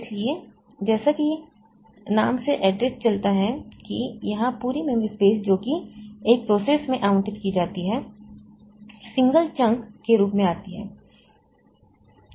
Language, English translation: Hindi, So, as the name suggests, so here the entire memory space that is allocated to a process comes as a single chunk